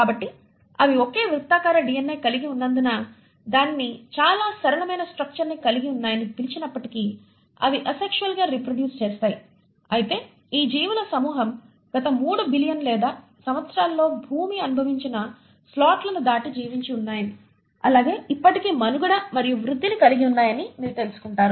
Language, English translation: Telugu, So though we call it to have a very simple structure because they just have a single circular DNA, they do reproduce asexually yet this group of organisms you find have survived beyond slots which the earth must have experienced in last 3 billion or years and has still continue to survive and thrive